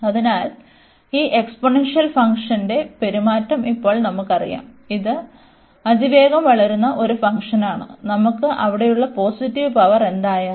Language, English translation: Malayalam, So, now this limit we know already the behavior of these exponential function is this is a is a fast growing function, then x x power whatever positive power we have there